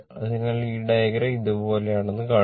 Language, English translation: Malayalam, So, just see this diagram is like this